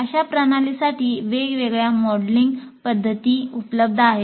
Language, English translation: Marathi, There are modeling methods available for such systems